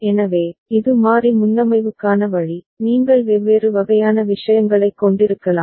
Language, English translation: Tamil, So, this is the way with variable preset, you can have different kind of such things